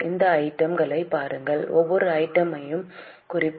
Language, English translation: Tamil, Take a look at these items and we will go on marking each item